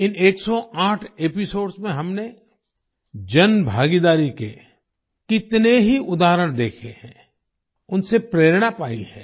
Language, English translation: Hindi, In these 108 episodes, we have seen many examples of public participation and derived inspiration from them